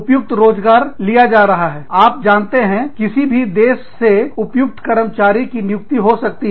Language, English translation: Hindi, Suitable employment can be taken, you know, suitable employees can be taken, from any country